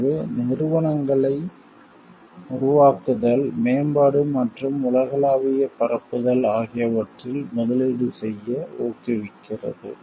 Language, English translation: Tamil, So, it encourages companies to invest in creation development and global dissemination of their work